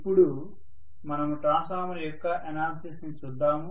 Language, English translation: Telugu, So let us now go to the analysis of a transformer